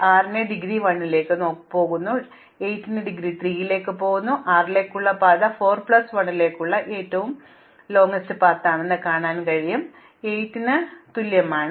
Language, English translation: Malayalam, So, the indegree of 6 goes on to 1, the indegree of 8 goes on to 3, but the longest path to 6 is now the longest path to 4 plus 1, so it is 2, it is same for 8